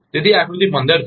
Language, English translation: Gujarati, So, this is figure 15